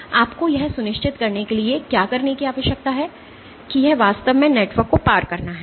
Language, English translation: Hindi, So, what you need to do to do that to ensure that it is to actually crossing the network